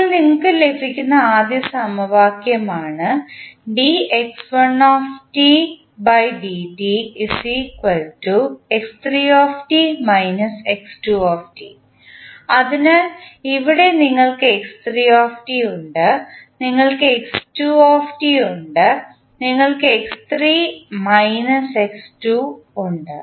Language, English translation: Malayalam, Now, for the first equation what you are getting, dx1 by dt is equal to x3 minus x2, so here you have x3, you have x2, you have x3 minus x2